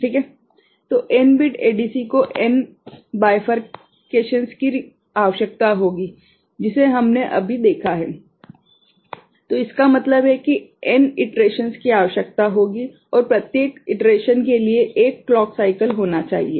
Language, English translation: Hindi, So, n bit ADC will require n bifurcations, the one that we have just seen; so that means, n iteration will be required and each iteration requires 1 clock cycle right